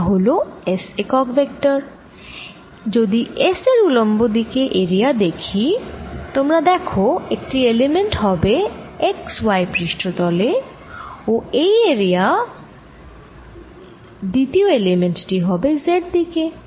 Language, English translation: Bengali, if i am looking at area perpendicular to s, you can see one element is going to be in the x y plane, like this, and the second element of this area is going to be in the z direction